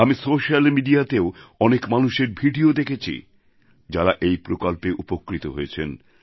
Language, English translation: Bengali, I too have seen videos put up on social media by beneficiaries of this scheme